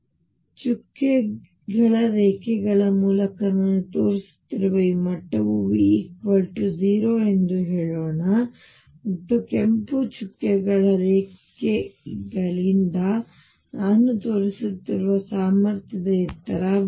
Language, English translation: Kannada, And let us say this level which I am showing through dotted lines is V equals 0 and the height of the potential which I am showing by the red dotted line is V